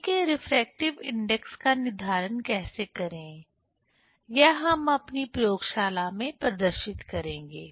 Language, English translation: Hindi, How to determine the refracting index of water that we will demonstrate in the laboratory, in our laboratory